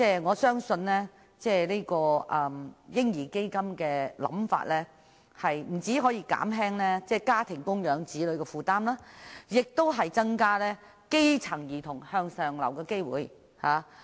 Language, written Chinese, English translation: Cantonese, 我相信"嬰兒基金"的構思不單可以減輕家庭供養子女的負擔，亦能夠增加基層兒童向上流的機會。, I believe that a baby fund will not only reduce a familys burden of providing for the children but also provide grass - roots children with a chance to move upward